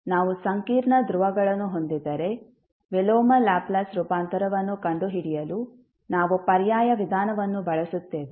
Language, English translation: Kannada, So, we will use an alternative approach to find out the inverse Laplace transform in case we have complex poles